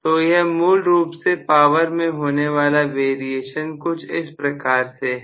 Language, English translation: Hindi, So, this is essentially the variation of power